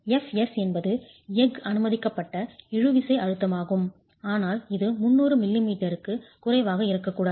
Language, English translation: Tamil, S is the permissible tensile stress of the steel, but this cannot be less than 300 m m